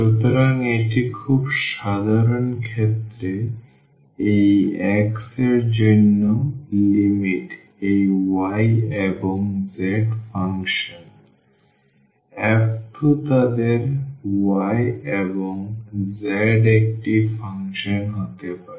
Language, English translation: Bengali, So, the limits for this x in a very general case can be a function of this y and z to the function f 2 their y and z